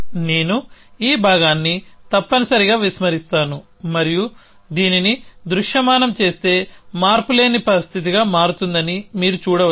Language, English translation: Telugu, So, I just ignore this part essentially and then you can see that if you that visualize this become monotonic situation